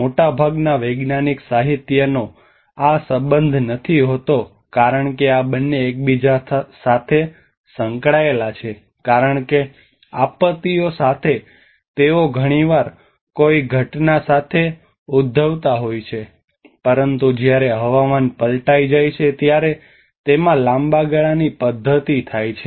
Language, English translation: Gujarati, Much of the scientific literature often does not relate that these two are interrelated because disasters they often triggered with an event, but whereas the climate change, it has a long run mechanism into it